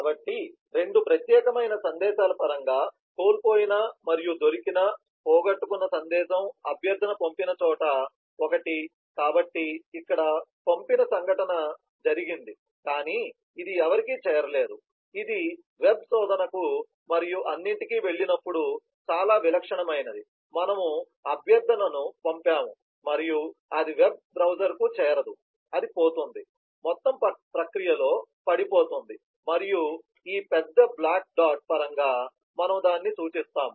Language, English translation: Telugu, so in terms of the special kind of messages, the lost and found, lost message is one the request was sent, so here the send event happened, but it never reached anybody, which is very typical when we go to web search and all that, we have sent the request and it does not reach the web browser, it gets lost, dropped in the whole process and we denote that in terms of this big black dot